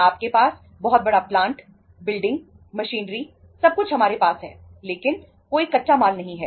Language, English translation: Hindi, You have huge plant, building, machinery everything is with us but there is no raw material